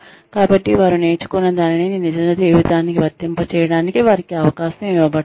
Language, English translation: Telugu, So, that is, they are given a chance to apply, whatever they have learned, to real life